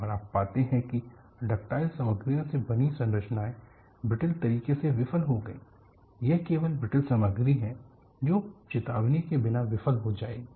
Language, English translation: Hindi, And what you find is structures made of ductile materials failed in a brittle fashion;it is only brittle material that will fail without warning